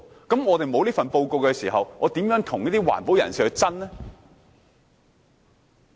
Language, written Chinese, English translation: Cantonese, 當我們沒有這份報告時，又如何跟環保人士爭辯呢？, Without any such reports how can we argue with environmentalists?